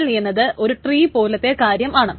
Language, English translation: Malayalam, XML is essentially a tree kind of thing